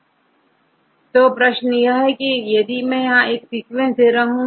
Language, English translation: Hindi, So, this is the question, I give this sequence